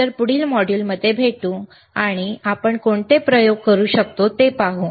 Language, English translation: Marathi, So, I will see you in the next class, and let us see what experiments we can perform,